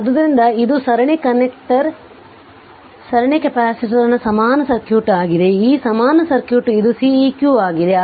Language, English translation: Kannada, So, this is series connector equivalent circuit of the series capacitor, this equivalent circuit and this is Ceq right